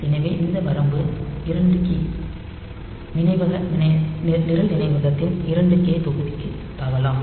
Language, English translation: Tamil, So, this range is 2 k, in 2 k block of program memory you can jump